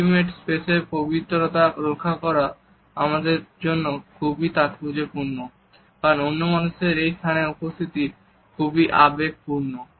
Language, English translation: Bengali, It is significant for us to keep the sanctity of the intimate space because the presence of other people within this space may be overwhelming